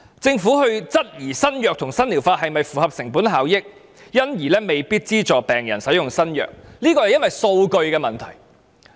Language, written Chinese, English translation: Cantonese, 政府質疑新藥物及新療法是否符合成本效益，因而未必資助病人使用新藥物，這個往往是基於數據的問題。, When the Government questions the cost - effectiveness of a new treatment or new drug and thus refuses to subsidize a patient to use it it often bases its query on the data